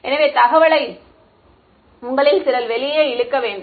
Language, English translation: Tamil, So, the information is there some of you have to pull it out